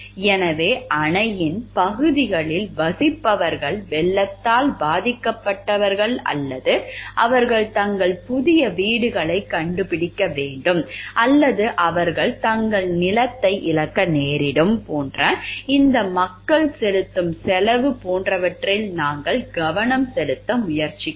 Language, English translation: Tamil, So, utilitarianism we try to focus on the fact like the cost which these people are paying people who live in the areas of the dam which will get flooded or like they are they required to find their new homes or like they will be losing their land this is the cost that they are incurring